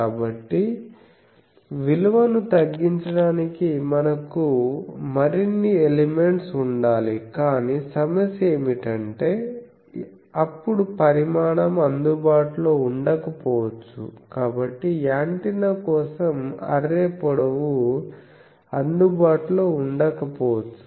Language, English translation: Telugu, So, we will have to have more elements to decrease the value, but then the problem is that size may not be available so much array length may not be available for an antenna